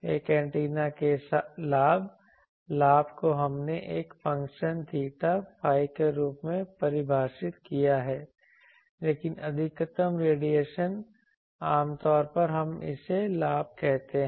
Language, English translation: Hindi, Gain of an antenna gain we defined as a function theta phi, but the maximum radiation generally we call it gain